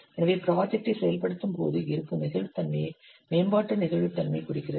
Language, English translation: Tamil, So development flexibility represents the degree of flexibility that exists when the, when implementing the project